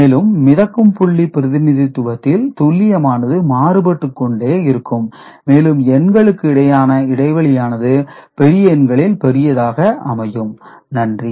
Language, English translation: Tamil, And floating point representation has variable precision and gap between number is higher for larger numbers